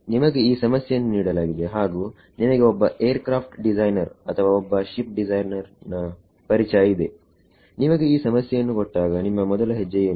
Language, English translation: Kannada, You are given this problem let us you know a aircraft designer or ship designer you are given this problem what would be step 1